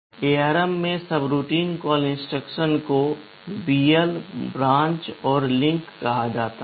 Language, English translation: Hindi, In ARM the subroutine call instruction is called BL, branch and link